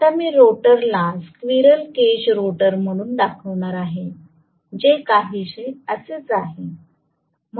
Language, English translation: Marathi, Now, I am going to show the rotor as a squirrel cage rotor which is somewhat like this